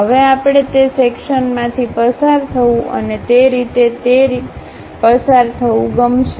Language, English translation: Gujarati, Now, we would like to have a section passing through that and also passing through that in that way